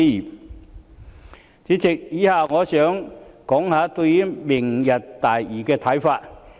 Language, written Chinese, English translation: Cantonese, 代理主席，以下我想談談對"明日大嶼"的看法。, Deputy President next I would like to express my views on Lantau Tomorrow